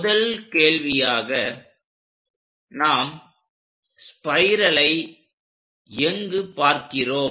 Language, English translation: Tamil, So, where do we see the first question spiral